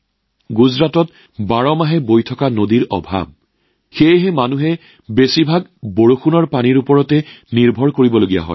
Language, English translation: Assamese, There is also a lack of perennially flowing rivers in Gujarat, hence people have to depend mostly on rain water